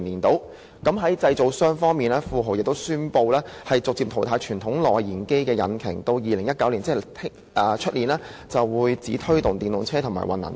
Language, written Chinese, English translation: Cantonese, 在製造商方面，富豪汽車亦宣布會逐步淘汰傳統內燃機引擎，直至2019年，即是明年便只會推動電動車和混能車。, For the manufacturers Volvo announced that it would gradually phase out traditional internal combustion engines and from 2019 onwards that is next year it would only launch electric or hybrid models